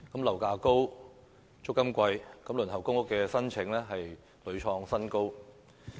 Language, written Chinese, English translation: Cantonese, 樓價高，租金貴，輪候公屋的申請亦屢創新高。, With high property prices and high rents the number of applications for public rental housing PRH also reaches new heights